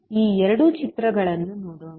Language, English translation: Kannada, Let us see these two figures